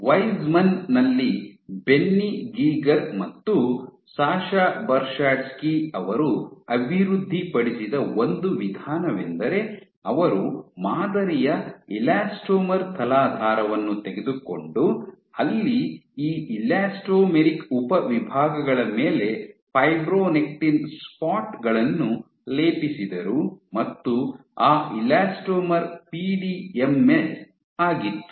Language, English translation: Kannada, So, one of the approaches which was developed by Benny Geiger and Sascha Sasha Bershadsky at Weizmann was what they did was they took a substrate a patterned elastomer where, they coated fibronectin spots on top of this elastomeric subsets